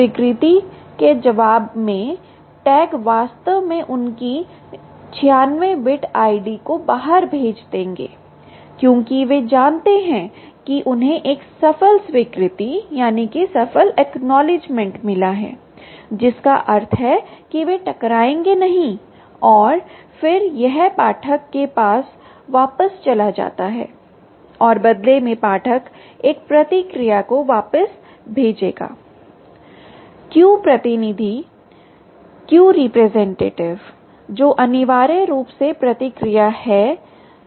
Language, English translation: Hindi, the tags will actually send out their ninety six bit i d because they know that they got a successful ack, which means they are not collided, and then it goes back to the reader and the reader, in turn, will send back a response called the q rep, which is essentially the response